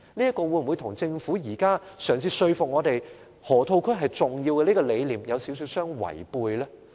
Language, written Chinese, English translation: Cantonese, 這做法是否跟政府現在嘗試說服我們河套區十分重要的這個理念相違背呢？, Did this approach not run against the Governments present attempt to convince us that the Loop is extremely important?